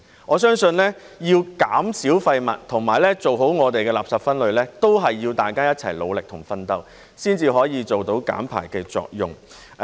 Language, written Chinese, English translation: Cantonese, 我相信，要減少廢物及做好垃圾分類，都是要大家一齊努力及奮鬥，才可以做到減排的作用。, To achieve waste reduction and separation I believe it will take our concerted efforts and hard work to produce results in waste reduction